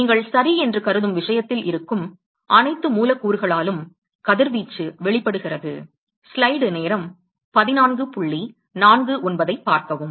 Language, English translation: Tamil, The radiation is emitted by all the molecules which is present in the matter that you are considering ok